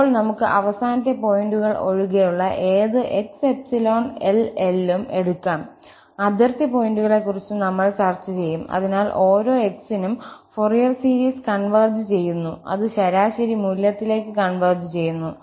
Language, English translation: Malayalam, Then, we can take any x in this open interval minus L to L except the boundary points, we will also discuss the boundary points, so, for each x, the Fourier series converges and it converges to the average value